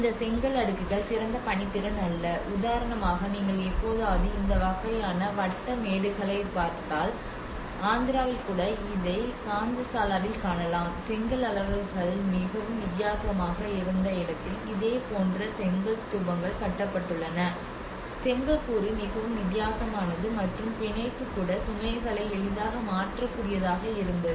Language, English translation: Tamil, Now, these undulating bricklayers not the best of the workmanship, for instance, if you ever look at this kind of circular mounds, even in Andhra you can see in Ghantasala where this similar kind of structures Stupas have been brick Stupas have been constructed where the brick sizes were very different the brick component is very different and even the bonding you can see that you know how the bonding could be also worked out so that the load could be transferred easily